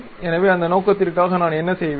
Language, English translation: Tamil, So, for that purpose what I will do